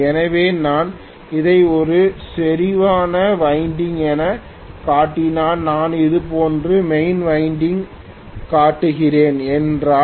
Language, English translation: Tamil, If I am showing main winding like this